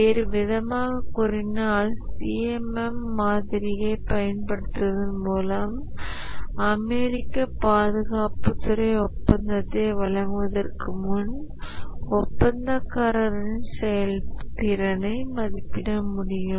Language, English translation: Tamil, Or in other words, the US Department of Defense by using the CMM model can assess the contractor performance before awarding a contract